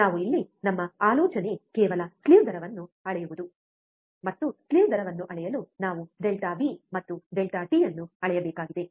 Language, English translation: Kannada, We here our idea is just to measure the slew rate, and for measuring the slew rate, what we have to measure delta V and delta t